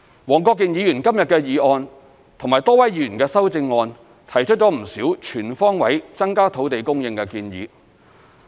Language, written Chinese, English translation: Cantonese, 黃國健議員今天的議案和多位議員的修正案提出了不少全方位增加土地供應的建議。, In Mr WONG Kwok - kins motion and the amendments proposed by many Members today there are many suggestions for increasing land supply on all fronts